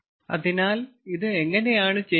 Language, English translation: Malayalam, so how it is done